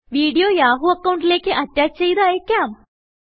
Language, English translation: Malayalam, Now, lets send a video as an attachment to the Yahoo account